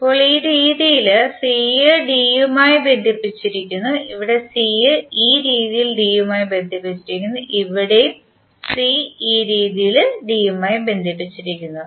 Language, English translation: Malayalam, Now c is connected to d in this fashion here c is connected to d in this fashion and here c is connected to d in this fashion